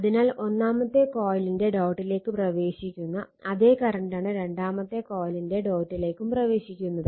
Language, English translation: Malayalam, So, current actually entering into the dot of the first coil same current I entering the dot of the your second coil